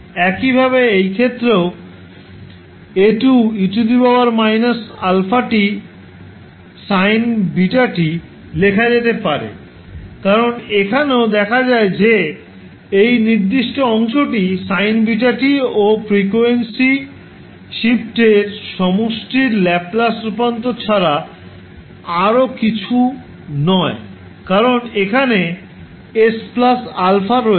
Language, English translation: Bengali, Similarly, for this case also, you can write A2 e to the power minus alpha t into sin beta t because here also you will see, that this particular segment is nothing but the Laplace transform of sin beta t plus the frequency shift because here you have s plus alpha